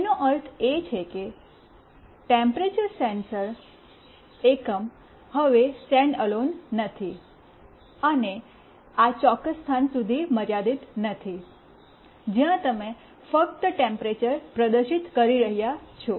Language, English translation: Gujarati, That means, the temperature sensing unit is not standalone anymore and not restricted to this particular place, where you are displaying the temperature only